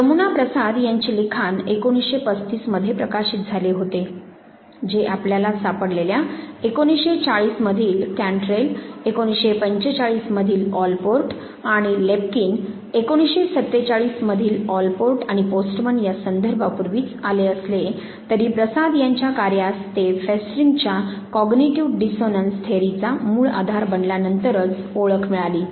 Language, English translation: Marathi, Now, Jamuna Prasad's work which was published in 1935, this came even before what we call the reference that you find of central in 1940, Allport and Lepkin in 1945 and Allport and Postman in 1947, but Prasad’s work got recognition when it came to now becoming the base line for Festinger's cognitive dissonance theory